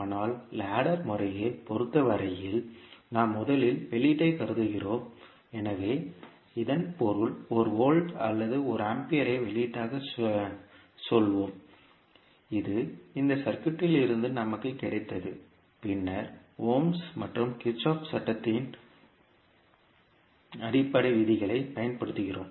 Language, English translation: Tamil, But in case of ladder method we first assume output, so it means that we will assume say one volt or one ampere as an output, which we have got from this circuit and then we use the basic laws of ohms and Kirchhoff’s law